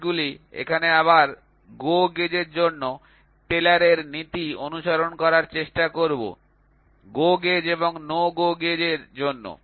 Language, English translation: Bengali, So, again here these gauges we will try to have we will try to follow Taylor’s principle for GO gauge and no GO gauge